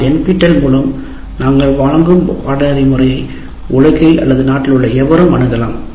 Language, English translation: Tamil, Whereas the course that we are offering under NPTEL, anybody anywhere in the world or in the country can get access to the course